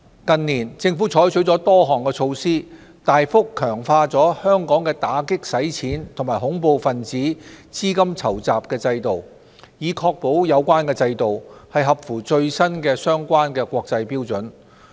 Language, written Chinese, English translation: Cantonese, 近年，政府採取了多項措施，大幅強化了香港的打擊洗錢及恐怖分子資金籌集制度，以確保有關制度合乎最新的相關國際標準。, Over the past few years the Government has adopted various measures to strengthen the AMLCFT regime so as to ensure that our system is keeping with international standards